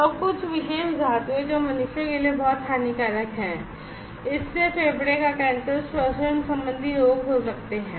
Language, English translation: Hindi, And some particular metals those are very much harmful for humans it may cause lungs cancer, respiratory diseases